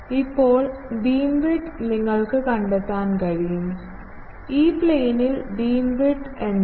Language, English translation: Malayalam, Now, beamwidth you can find, what the beam width is in the E plane